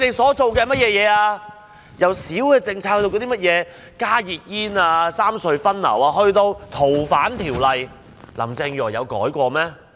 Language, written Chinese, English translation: Cantonese, 從細微的政策如"加熱煙"、"三隧分流"，以至《逃犯條例》的修訂，林鄭月娥有改變過嗎？, From minor policies such as those on hot - not - burn cigarettes and the traffic rationalization among the three road harbour crossings to the amendment of the Fugitive Offenders Ordinance has Carrie LAM changed?